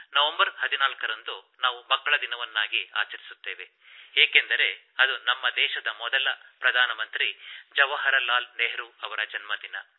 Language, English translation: Kannada, First of all, many felicitations to all the children on the occasion of Children's Day celebrated on the birthday of our first Prime Minister Jawaharlal Nehru ji